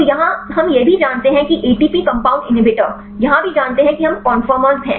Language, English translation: Hindi, So, here also we know that ATP compound inhibitors here also we know out conformation